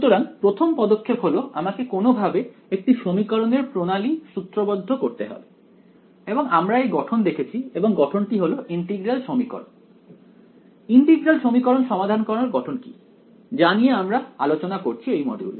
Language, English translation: Bengali, So, first step 1 I have to somehow get into formulating a system of equations and we have seen the framework for it and that framework is integral equations what is the framework for solving integral equations, we have we are talking about in this module